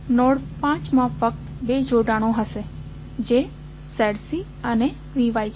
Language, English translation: Gujarati, Node 5 will have only two connections that is Z C and V Y